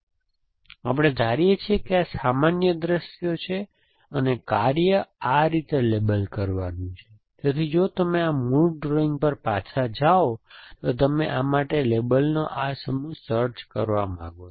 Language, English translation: Gujarati, So, we assume these are cana of generic views essentially and the task is to label drawing like this, so if you go back to this original drawing you want to find this set of label for this